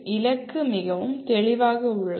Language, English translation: Tamil, The goal is very clear